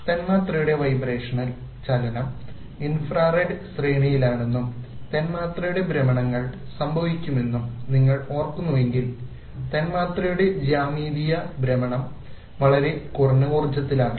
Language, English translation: Malayalam, Vibrational motion of the molecule if you remember is in the infrared range and rotations of the molecule take place which change the geometrical orientation of the molecule is even at a much lower energy